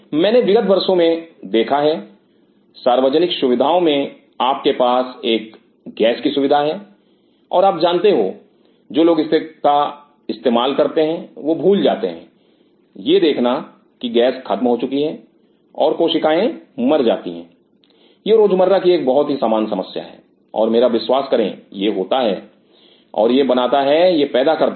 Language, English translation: Hindi, I have seen over the years in common facilities you have a gas facility and you know people who are using it forget to figure out that gas is depleted and the cells die these are very common day to day problem and trust me this happens and it creates it creates leads to